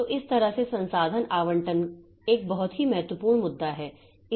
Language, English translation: Hindi, So, this way the resource allocation is a very important issue